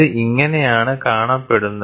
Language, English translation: Malayalam, So, this is how it looks